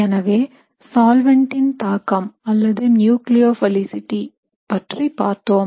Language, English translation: Tamil, So we had also looked at the effect of solvent or nucleophilicity